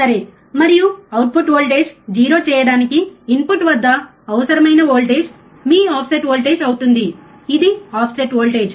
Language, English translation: Telugu, And the voltage required at the input to make output voltage 0 is your offset voltage, this is what offset voltage means